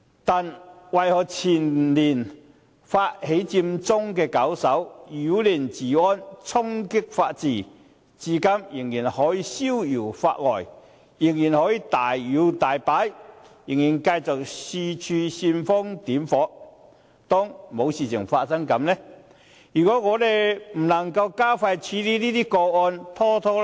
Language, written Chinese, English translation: Cantonese, 但為何前年發起佔中的搞手，不但擾亂治安，而且衝擊法治，至今卻仍然可以逍遙法外，仍然可以大搖大擺，仍然繼續四處煽風點火，當作事情沒有發生過呢？, But why can the initiator of the Occupy Central movement the year before last who not only disrupted law and order but also challenged the rule of law be still at large and walk proudly and continue to fuel rumours everywhere as if nothing has happened?